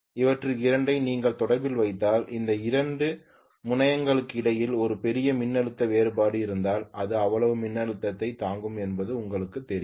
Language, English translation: Tamil, If you put two of them in series, you are sure that it will withstand that much of voltage if there is a huge voltage difference between these two terminals okay